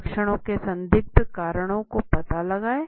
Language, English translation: Hindi, Pinpoint suspected causes of the symptoms